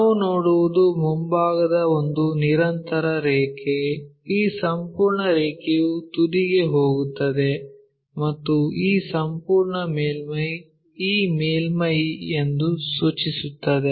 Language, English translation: Kannada, So, what we will see is the frontal one a continuous line, this entire line goes all the way to apex and this entire surface maps as this surface